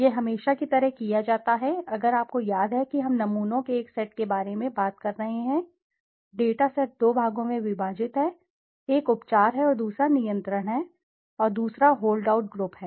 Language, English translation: Hindi, This is done as usual, if you remember we have been talking about having a set of samples, data set dividing into two parts, one is a treatment and other is the control and the other is the hold out group